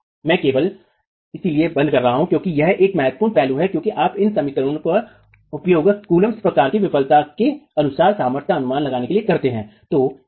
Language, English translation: Hindi, I'm just flagging this off because it's an important aspect as you use these equations to estimate the strength according to the Kulum type failure criterion